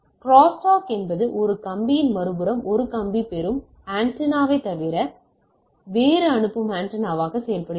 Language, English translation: Tamil, Crosstalk is the effect of 1 wire on the other, 1 wire acts as a sending antenna other as the receiving antenna